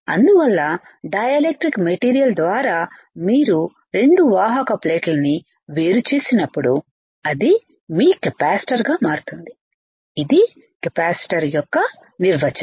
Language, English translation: Telugu, So, when you have 2 conducting plate separated by dielectric material it becomes your capacitor, that is the definition of a capacitor